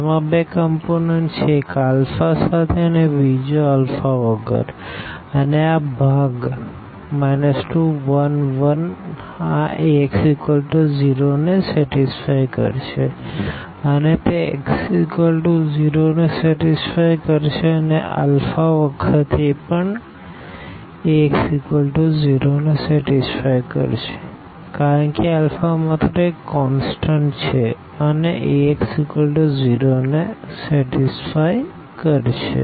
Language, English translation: Gujarati, It has two components; one without this alpha and the other one with alpha and this part here 2 minus, 1, 1 this exactly satisfy Ax is equal to 0 and if it satisfy x is equal to 0 it the alpha times this also satisfy Ax is equal to 0 because it is alpha is just a constant and if x satisfy this Ax is equal to 0, A into alpha x will also satisfy Ax is equal to 0